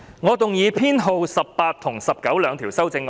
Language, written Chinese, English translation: Cantonese, 我動議編號18及19的修正案。, I move that Amendment Nos . 18 and 19 be passed